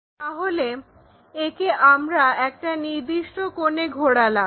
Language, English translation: Bengali, So, this one we rotate it with certain angle